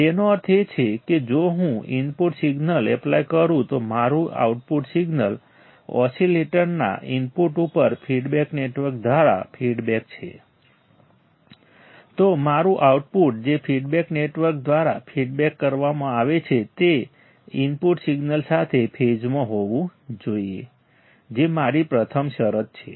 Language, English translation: Gujarati, That means, if I apply a input signal my output signal is feedback through the feedback network to the input of the oscillator, then my output which is fed back through the feedback network should be in phase with the input signal that is my first condition right